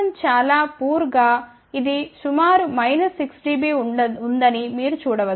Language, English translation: Telugu, You can see that S 1 1 is very poor this is of the order of approximately minus 6 dB